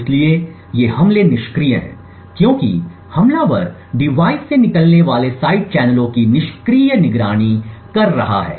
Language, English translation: Hindi, So, these attacks are passive because the attacker is passively monitoring the side channels that are emitted from the device